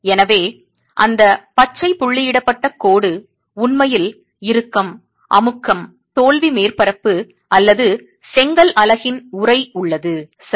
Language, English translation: Tamil, So, that green dotted line there is actually the tension compression failure surface of the envelope of the brick unit